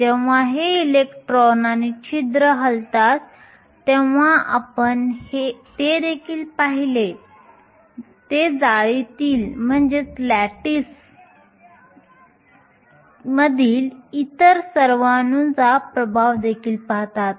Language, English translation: Marathi, When these electrons and holes move we also saw that, they also see the effect of all the other atoms in the lattice